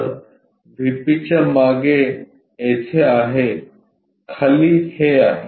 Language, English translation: Marathi, So, behind VP is here below is this